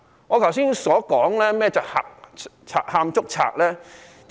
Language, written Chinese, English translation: Cantonese, 我剛才為甚麼說是賊喊捉賊呢？, Why do I say that it is the trick of a thief crying stop thief just now?